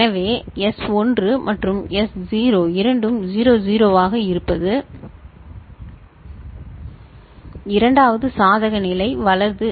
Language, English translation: Tamil, So, S1 and S0 both being 00, the second case a shift right